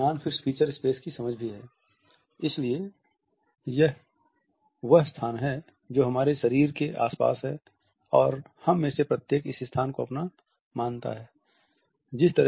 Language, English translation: Hindi, This is also an understanding of the non fixed feature space, so which is a space which is immediately surrounding our body and each of us perceive this space to be our own